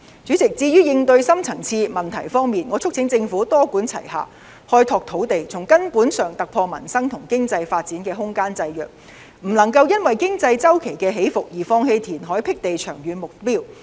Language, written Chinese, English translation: Cantonese, 主席，至於應對深層次問題方面，我促請政府多管齊下，開拓土地，從根本突破民生和經濟發展空間的制約，不能夠因為經濟周期起伏而放棄填海闢地的長遠目標。, President as for how to address the deep - seated problems in Hong Kong I urge the Government to adopt a multi - pronged approach to open up more land with a view to breaking through the bottleneck which constrains our livelihood and economic development . We should not forsake the long - term target of reclamation due to the fluctuation in the economic cycle